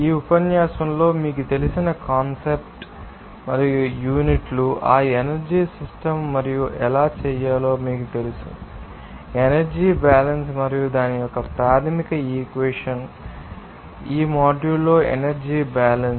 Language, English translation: Telugu, In this lecture, we will discuss the concept and units of you know, that energy system and how to do that, you know, energy balance and what are the basic equations for that, you know, energy balance in this module